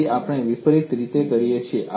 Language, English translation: Gujarati, So, we do it in a reverse fashion